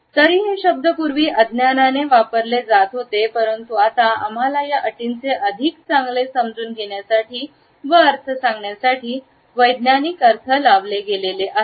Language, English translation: Marathi, Even though these words were used earlier in a blanket manner, but now the scientific interpretations have enabled us for a better understanding and connotations of these terms